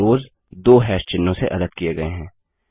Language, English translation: Hindi, And the rows are separated by two hash symbols